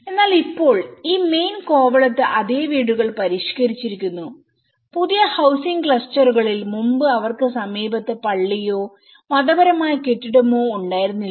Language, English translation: Malayalam, But now, the same houses have been modified in this main Kovalam, in the new housing clusters earlier, they were not having a church or some religious building in the close proximity